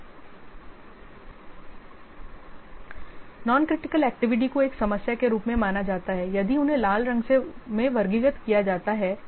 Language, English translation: Hindi, Non critical activities they are likely to be considered as a problem if they are classified as red